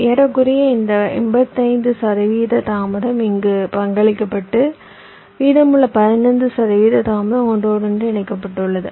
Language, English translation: Tamil, eighty five percent of delay was contributed here and the rest fifteen percent delay was contributed in the interconnections